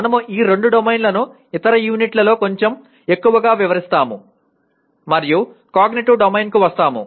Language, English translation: Telugu, We will elaborate these two domains a little more in other units and coming to Cognitive Domain